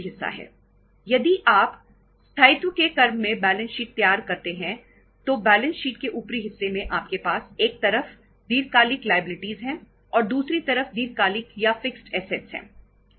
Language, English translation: Hindi, If you prepare the balance sheet in the order of permanence then on the upper part of the balance sheet you have the long term liabilities on the one side and the long term or the fixed assets on the other side